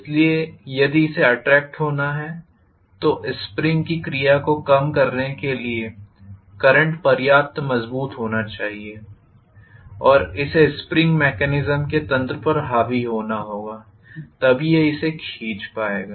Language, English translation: Hindi, So if it has to be attracted the current should be strong enough to nullify the action of a spring and it has to dominate over the spring’s mechanism, only then it will be able to pull it